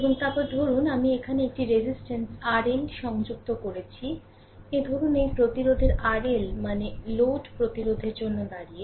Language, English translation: Bengali, And then suppose, I connect a resistance R L here suppose this resistance is R L we call generally R L means stands for a load resistance